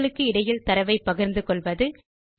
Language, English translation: Tamil, Sharing content between sheets